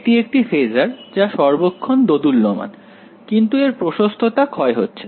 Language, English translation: Bengali, It is a phaser which is constantly oscillating, but the amplitude is decaying no problem